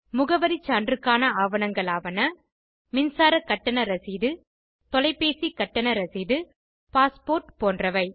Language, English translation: Tamil, Documents for proof of address are Electricity bill Telephone Bill Passport etc